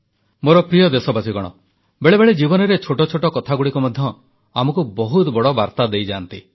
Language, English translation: Odia, My dear countrymen, there are times when mundane things in life enrich us with a great message